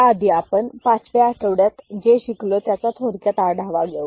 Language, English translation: Marathi, And, before that we shall have a quick review of what we discussed in week 5